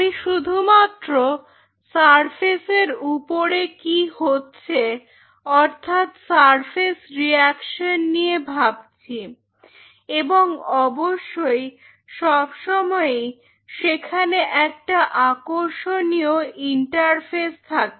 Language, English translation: Bengali, I am only bothered about just what is happening on the surface the surface reaction and of course, there is always a very interesting interface